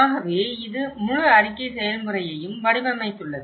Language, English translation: Tamil, So, that has framed the whole report process